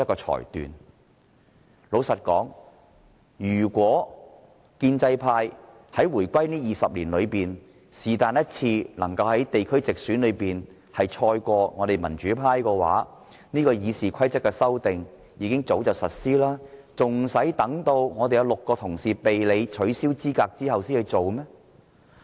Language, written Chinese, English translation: Cantonese, 坦白說，如果建制派在回歸後的20年，能在地區直選中勝過民主派，便早已修訂了《議事規則》，還需待民主派有6位議員被取消資格之後才提出嗎？, Frankly speaking if the pro - establishment camp had won the pro - democracy camp in direct elections in the geographical constituencies in the past 20 years after the reunification they would have amended RoP long ago and would not have waited after six pro - democracy Members had been disqualified